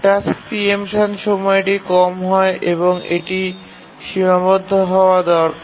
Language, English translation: Bengali, The task preemption time need to be low and bounded